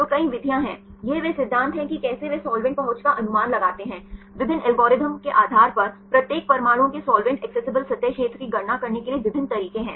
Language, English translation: Hindi, So, there are several methods; this is the principle how they estimate the solvent accessibility, there are various methods to calculate the solvent accessible surface area of each atoms to based on the different algorithms